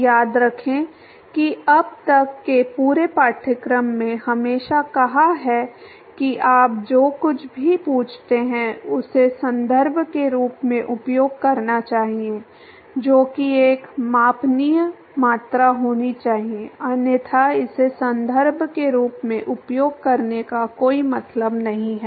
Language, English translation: Hindi, Remember that the whole course so far always said that anything you ask use as reference has to be something that should be a measurable quantity, otherwise it does not make much sense to use it as a reference